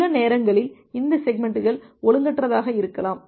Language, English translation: Tamil, And sometime these segments may be out of order